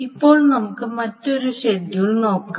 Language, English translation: Malayalam, So, this is another schedule